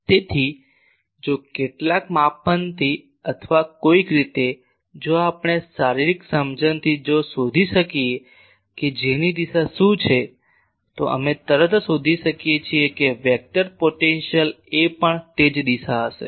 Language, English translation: Gujarati, So, the if from some measurement or somehow if we can for by physical understanding if you can find what is the direction of J, we are finding immediately that the vector potential A that will also have that same direction